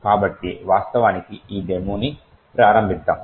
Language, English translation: Telugu, So, lets, actually start this demo